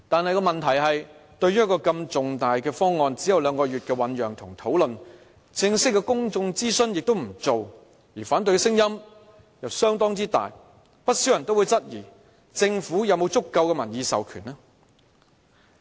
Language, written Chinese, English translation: Cantonese, 然而，問題是，對於一個如此重大的方案，只有兩個月的醞釀及討論，亦沒有進行正式的公眾諮詢，反對聲音又相當大，不少人質疑政府有否足夠的民意授權。, Yet problems arise exactly because this significantly important proposal has only been mooted and discussed for two months . Despite the strong voices of opposition there has not been any formal public engagement exercise . This leads quite a number of people to question if the Government really has sufficient public mandate